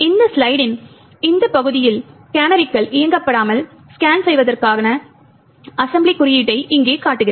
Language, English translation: Tamil, So, over here on this part of the slide shows the assembly code for scan without canaries enabled